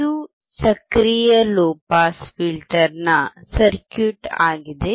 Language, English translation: Kannada, This is a circuit of an active low pass filter